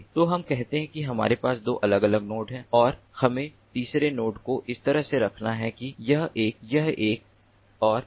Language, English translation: Hindi, so let us say that we have two different nodes and we have to place third node in such a way that this one, this one and this one at the same